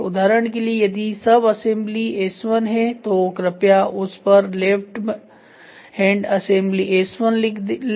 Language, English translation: Hindi, For example, if the subsystem assembly is S1 please write it has left hand side S1